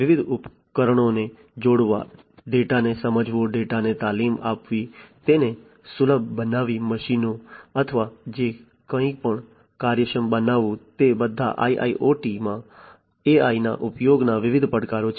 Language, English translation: Gujarati, Connecting different devices, understanding the data, training the data, making it accessible, making the machines or whatever actionable these are all different challenges of use of AI in IIoT